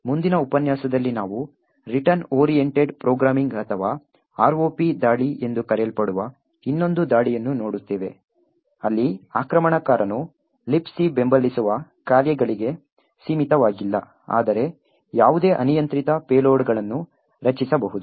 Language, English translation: Kannada, In the next lecture we will look at another attack known as the Return Oriented Programming or the ROP attack where the attacker is not restricted to the functions that LibC supports but rather can create any arbitrary payloads, thank you